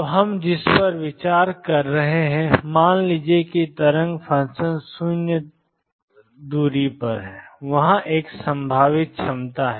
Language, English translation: Hindi, So, what we are considering is suppose there is a potential given the wave function is 0 far away